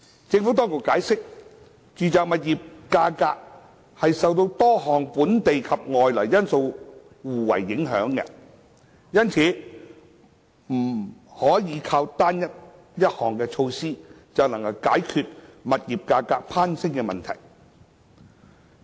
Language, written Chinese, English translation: Cantonese, 政府當局解釋，住宅物業價格受多項本地及外來因素互為影響，因此不可單靠一項措施，便能解決物業價格攀升的問題。, The Administration has explained that residential property prices are affected by a confluence of various local and external factors which closely interplay with one another and hence there could never be one single measure that could address the soaring property prices